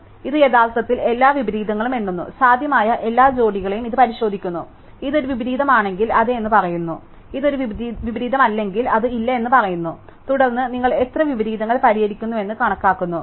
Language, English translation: Malayalam, So, this actually enumerates all the inversions, it is checks every possible pairs and if it is an inversion it says yes, if it is not an inversion it says no and then, you count how many inversions you solve